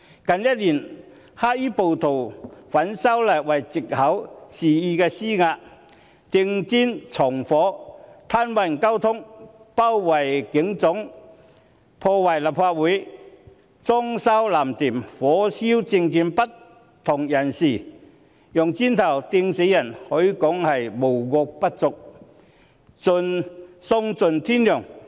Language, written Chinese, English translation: Cantonese, 近一年來，黑衣暴徒以反修例為藉口，肆意施壓，投擲磚塊、縱火、癱瘓交通、包圍香港警察總部、破壞立法會、"裝修藍店"、火燒政見不同人士、投擲磚塊致人死亡，可說是無惡不作，喪盡天良。, Over the past one year or so black - clad rioters have on the pretext of opposing the proposed legislative amendments arbitrarily exerted pressure on others hurled bricks committed arson paralysed traffic besieged the Hong Kong Police Headquarters damaged the Legislative Council Complex vandalized blue shops set ablaze people with differing political views and killed people by hurling bricks at them . They have virtually committed all imaginable misdeeds and are devoid of conscience